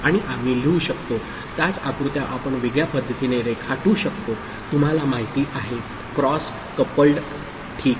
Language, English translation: Marathi, And we can write, we can draw the same diagram in a different manner which is you know, cross coupled, ok